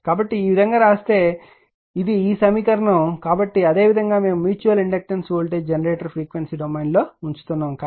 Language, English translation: Telugu, So, that like your that it is same way you are putting that mutual inductance voltage generator in frequency domain we are writing it